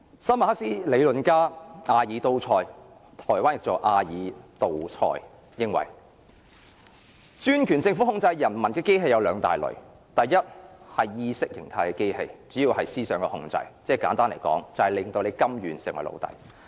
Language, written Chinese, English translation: Cantonese, 新馬克斯理論家阿爾都塞認為專權政府控制人民的機器有兩大類：第一是意識形態的機器，主要是思想控制，簡單來說，是令人民甘願成為奴隸。, A new Marxist philosopher Louis Pierre ALTHUSSER thinks there are two major state apparatuses to reinforce the autocratic rule the Ideological State Apparatus ISA and the Repressive State Apparatus RSA . ISA is a form of ideological control . To put it simple it seeks to make the subjects to become slaves willingly